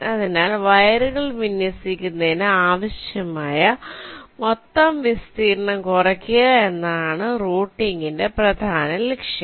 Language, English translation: Malayalam, so the main objective for routing is to minimize the total area required to layout the wires so broadly